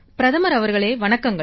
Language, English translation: Tamil, Prime Minister Namaskar